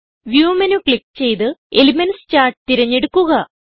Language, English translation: Malayalam, Click on View menu, select Elements Charts